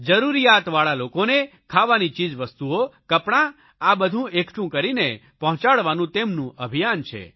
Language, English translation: Gujarati, Under this campaign, food items and clothes will be collected and supplied to the needy persons